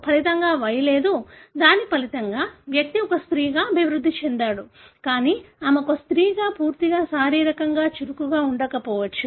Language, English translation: Telugu, As a result there is no Y, as a result that individual developed like a female, but she may not be completely, physiologically active as a female